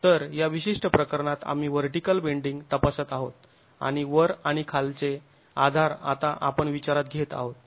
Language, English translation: Marathi, So in this particular case we are examining vertical bending and the top and the bottom are the supports that we are considering now